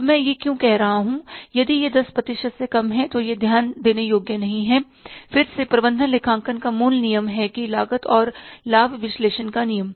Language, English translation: Hindi, Now, why I am saying that if it is less than 10% it is ignorable, again the basic rule of management accounting that the rule of cost and benefit analysis